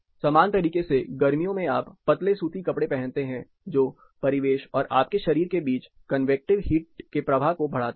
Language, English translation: Hindi, Similarly, during summer you have a thin cotton wear which enhances the convective heat flow to happen between the ambient and the body